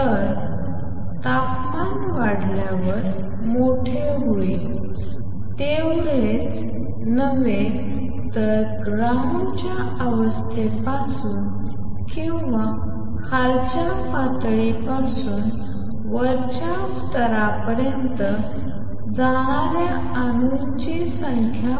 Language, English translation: Marathi, So, what will happen as temperature goes up u nu T becomes larger not only the number of atoms that are going from ground state or lower level to upper level increases